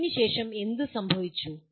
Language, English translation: Malayalam, What happened after …